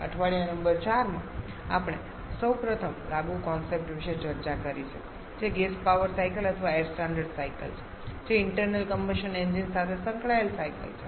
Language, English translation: Gujarati, In week number 4 we have discussed about the first applied concept of ours which is the gas power cycles or air standard cycles which are the cycles associated with reciprocating internal combustion engines